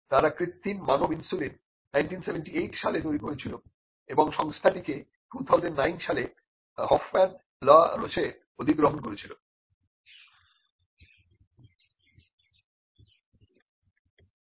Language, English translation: Bengali, They developed the synthetic human insulin in 1978 and the company itself was acquired by Hoffmann La Roche in 2009